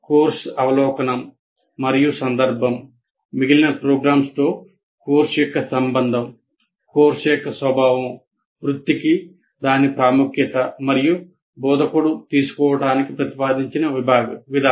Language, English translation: Telugu, Relationship of the course to the rest of the program, the nature of the course, its importance to the profession, and the approach proposed to be taken by the instructor